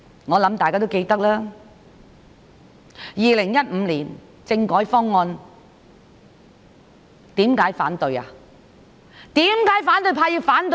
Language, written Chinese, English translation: Cantonese, 我想大家也記得，政府在2015年提出政改方案，為何反對派要反對？, I think Members may remember that the Government put forward the constitutional reform package in 2015 why did opposition Members object the proposal?